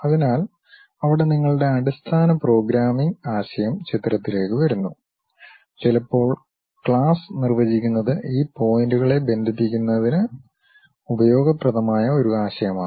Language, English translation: Malayalam, So, there your basic programming a concept comes into picture; sometimes defining class is also useful concept for this connecting these points